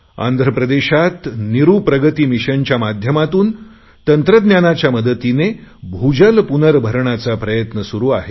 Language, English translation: Marathi, In Andhra Pradesh, 'Neeru Pragati Mission' has been using technology for ground water recharging